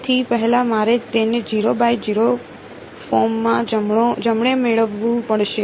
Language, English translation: Gujarati, So, first I have to get it into a 0 by 0 form right